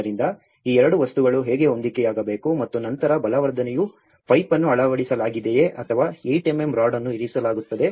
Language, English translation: Kannada, So, how these two things has to match and then the reinforcement is kept whether it is a pipe inserted or 8 mm rod has been inserted into it